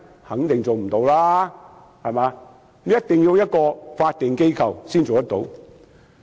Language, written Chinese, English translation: Cantonese, 肯定無法做到，一定要由法定機構才能做到。, It can definitely not . Therefore it must make a statutory body to act on its behalf